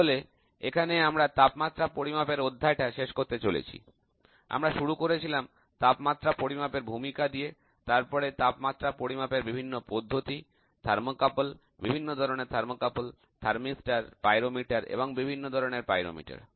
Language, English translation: Bengali, We started with an introduction to temperature measuring, various methods of temperature measurements, thermocouple, different types of thermocouple, thermistor, pyrometer and different types of the pyrometer